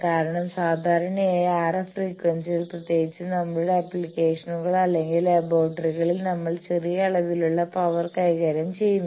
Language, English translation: Malayalam, Because, generally in RF frequency in particularly now our applications we or in laboratories we deal with smaller amount of power